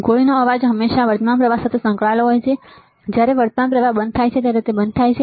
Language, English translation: Gujarati, Shot noise always associated with current flow and it stops when the current flow stops